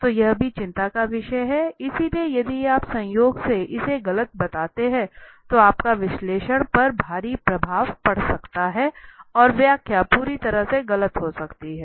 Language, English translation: Hindi, So that is also of concern, so if you by chance if you make it a wrong one, then your analysis could be heavily affected right, and the interpretation could be entirely wrong